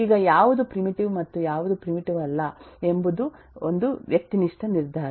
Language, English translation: Kannada, Now, what is a primitive and eh, what is eh not a primitive is kind of a subjective decision